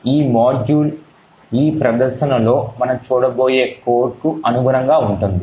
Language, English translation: Telugu, So this particular module corresponds to the code that we have seen in the presentation